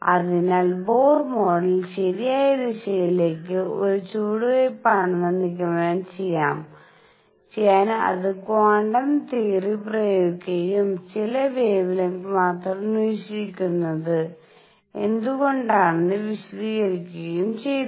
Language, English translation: Malayalam, So, to conclude Bohr model was a step in the right direction, it applied quantum theory and it could explain why the only certain wavelengths are observed